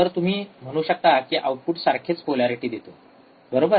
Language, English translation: Marathi, So, we can also say in the output results in the same polarity right